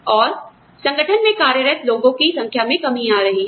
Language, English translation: Hindi, And, the number of people employed in organizations is coming down